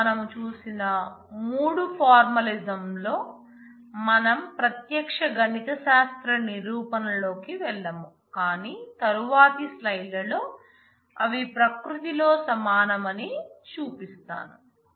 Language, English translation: Telugu, Now, of the three formalisms that we have seen we will not go into direct mathematical proofs, but in the next couple of slides, I just show that they are equivalent in nature